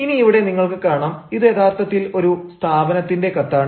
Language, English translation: Malayalam, now, here you can see, this is actually a letter which is, which is from an organization